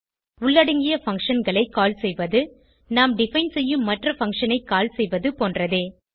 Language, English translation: Tamil, Calling inbuilt functions, similar to calling any other function, which we define